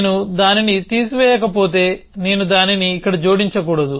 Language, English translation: Telugu, If I do not remove it then I should not add it here